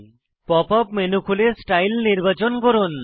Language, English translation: Bengali, Open the Pop up menu, select Style